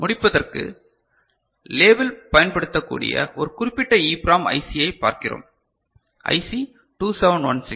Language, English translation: Tamil, To end just we look at one particular EPROM IC which you might be using in the lab which is IC 2716